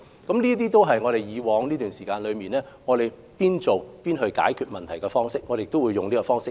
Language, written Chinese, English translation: Cantonese, 這些都是過往這段期間我們邊做邊解決問題的方式，我們會繼續採用。, These are the methods we have adopted and will continue to adopt . We seek to find a solution to a problem whenever a problem pops up